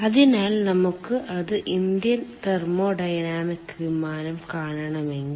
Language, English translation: Malayalam, so if we want to see it, indian thermodynamic plane